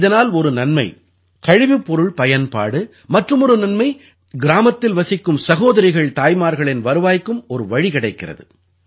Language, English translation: Tamil, Through this, the utilization of crop waste started, on the other hand our sisters and daughters living in the village acquired another source of income